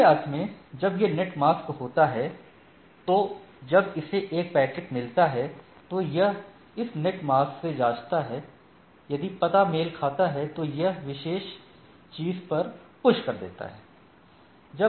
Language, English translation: Hindi, So, in other sense the routing table of this what it says when it is this net mask so, when it is gets a packet it checks with this net mask, if the address matches, it push it to that particular things right